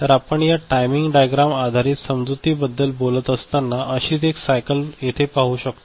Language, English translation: Marathi, So, if you talk about this timing diagram based you know understanding then we look at one such cycle over here